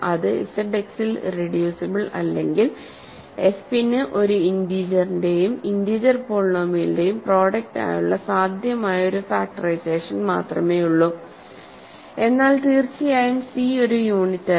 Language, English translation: Malayalam, And if it, hence, if it is not irreducible in Z X, there is only one possible factorization of f into a product a product is of an integer and a integer polynomial, but of course, c is also your not a unit